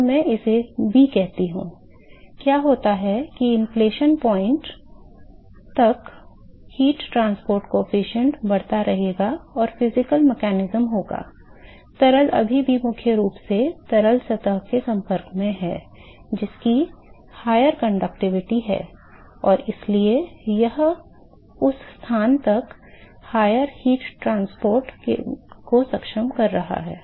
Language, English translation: Hindi, So, what happens is that till the inflexion point, if I call this is b, till the inflexion point the heat transport coefficient will continue to increase and the physical mechanism is done the liquid is still primarily liquid is in contact to the surface, which has a higher conductivity and therefore, it is enabling higher heat transport till that location